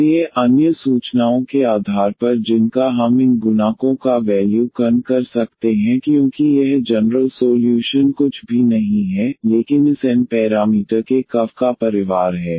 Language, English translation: Hindi, So, based on the other information which we can evaluate these coefficients because this is the general solution is nothing, but the family of the curves of this n parameter